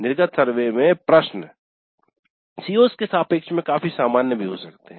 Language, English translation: Hindi, Questions in the exit survey can be fairly general even with respect to the COs